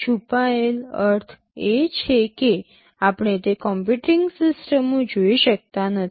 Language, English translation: Gujarati, Hidden means we cannot see those computing systems